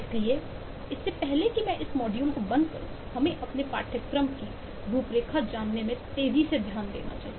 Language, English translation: Hindi, so before I close this module, I quickly take a look into knowing your course, the course outline